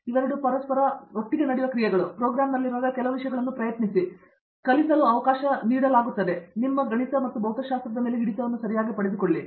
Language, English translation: Kannada, So, given a chance try and teach certain things when you are in the program and yeah get your maths and physics right